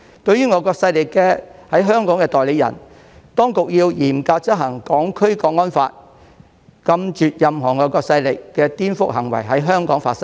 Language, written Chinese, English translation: Cantonese, 對於外國勢力在香港的代理人，當局要嚴格執行《香港國安法》，禁絕任何外國勢力的顛覆行為在香港發生。, As for the agents of foreign powers in Hong Kong the authorities should strictly enforce the National Security Law to prohibit any subversive acts of foreign powers from happening in Hong Kong